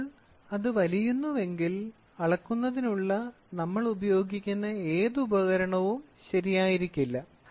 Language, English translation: Malayalam, So, if it stretches then whatever instrument we use for measuring is not going to be correct